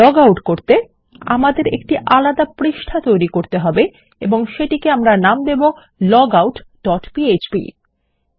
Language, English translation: Bengali, To log out all we need to do is, we need to create a separate page and lets just save it as logout dot php